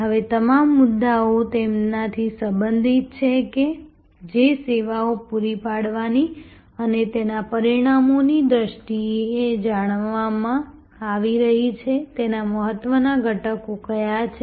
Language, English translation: Gujarati, Now, all of these issues are relating to that, what are the important elements of the service that are to be provided that are being provided stated in terms of the results